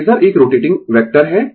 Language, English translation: Hindi, Phasor is a rotating vector